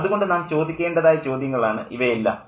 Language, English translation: Malayalam, So, this is one of the questions that we need to ask